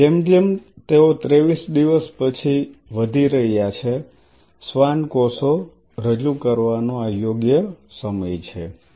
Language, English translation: Gujarati, Now, as they are growing after 2 3 days this is the right time to introduce the Schwann cells